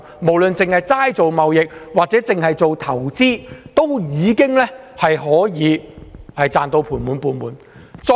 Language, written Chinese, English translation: Cantonese, 不論是進行貿易或投資，都能賺到盤滿缽滿。, Huge profits were made in areas of business transactions and investments